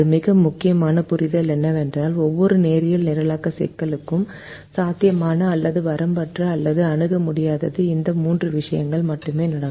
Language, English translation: Tamil, the most important understanding is every linear programming problem is either feasible or unbounded or infeasible